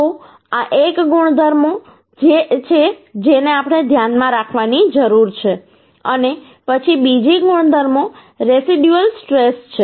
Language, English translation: Gujarati, So this is one property which we have to keep in mind and then another property is residual stress